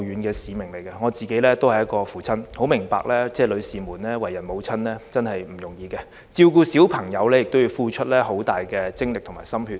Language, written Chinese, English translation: Cantonese, 作為一名父親，我很明白為人母親並不容易，照顧子女要付出龐大精力和心血。, As a father I fully understand that it is never easy to be a mother and child - rearing takes tremendous energy and painstaking efforts